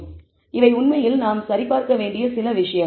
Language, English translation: Tamil, So, these are some of the things that we need to actually verify